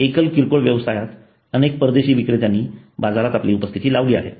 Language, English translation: Marathi, In single brand retailing many foreign players have made their presence in the market